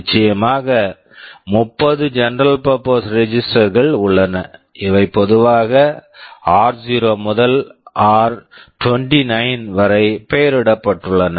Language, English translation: Tamil, And of course, there are 30 general purpose registers; these are named typically r0 to r29